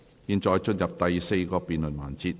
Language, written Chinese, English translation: Cantonese, 現在進入第四個辯論環節。, We now proceed to the fourth debate session